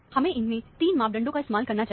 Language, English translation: Hindi, You must use all the 3 parameters